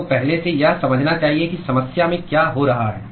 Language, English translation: Hindi, You should first intuit what is happening in the problem